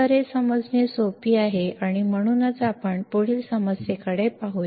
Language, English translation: Marathi, So, this is easy to understand and that is why let us keep moving on to the next problem